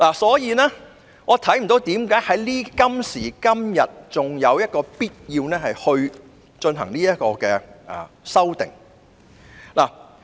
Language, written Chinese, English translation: Cantonese, 所以，我看不到今時今日仍有必要進行這項修訂。, Hence I do not think it is still necessary to introduce this amendment nowadays